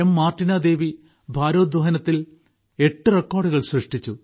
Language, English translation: Malayalam, Martina Devi of Manipur has made eight records in weightlifting